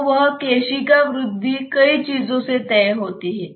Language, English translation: Hindi, So, that capillary rise is dictated by many things